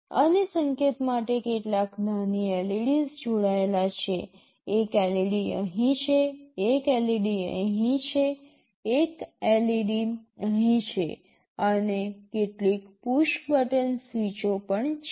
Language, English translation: Gujarati, And for indication there are some small LEDs connected, one LED is here, one LED is here, one LEDs here, and there are some also push button switches